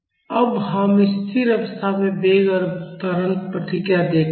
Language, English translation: Hindi, Now let us see the steady state acceleration response